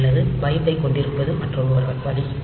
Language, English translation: Tamil, Or we can have byte is other way